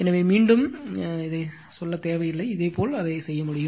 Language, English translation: Tamil, So, no need to explain again, similarly you can do it